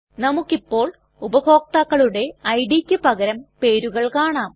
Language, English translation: Malayalam, Now we can see the names of the users instead of their ids